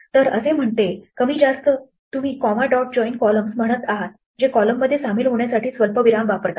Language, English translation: Marathi, So it says, more or less you are saying comma dot join columns which is use comma to join columns